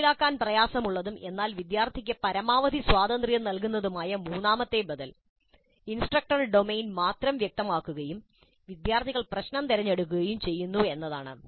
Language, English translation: Malayalam, The third alternative, which is probably difficult to implement, but which gives the maximum freedom to the student, is that instructor specifies only the domain and the students select the problem